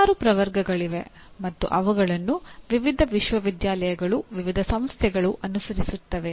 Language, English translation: Kannada, There are several taxonomies and they are followed by various universities, various organizations